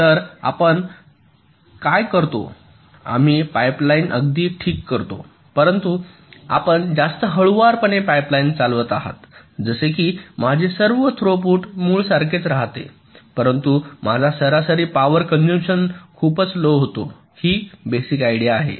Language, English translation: Marathi, we make a pipe line, all right, but you run the pipe line at a much slower frequency, such that my over all throughput remains the same as the original, but my average power consumption drastically reduces